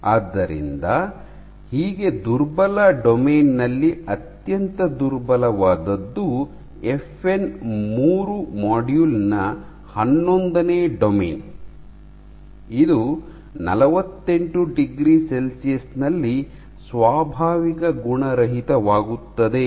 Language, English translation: Kannada, So, the weakest among the weakest domain is the eleventh domain of FN 3 module, which denatures at 48 degree Celsius